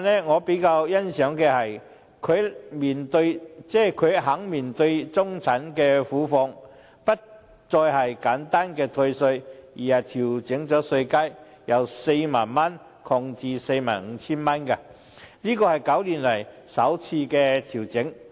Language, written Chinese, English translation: Cantonese, 我比較欣賞的，是司長這份預算案願意面對中產苦況，不再是簡單的退稅，而是調整稅階，由 40,000 元擴至 45,000 元，是9年來首次調整。, I am especially impressed by the Financial Secretarys willingness to face the hardship of the middle - class in this Budget . Instead of simply giving a tax rebate again the tax band is adjusted from 40,000 to 45,000 the first adjustment in nine years